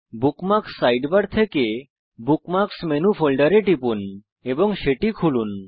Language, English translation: Bengali, From the Bookmarks Sidebar, click on and open the Bookmarks Menu folder